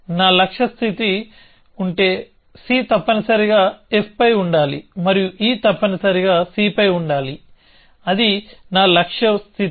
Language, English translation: Telugu, I say my goal state is that c must be on f and e must be on c that is my goal state